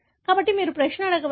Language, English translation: Telugu, So, you can ask the question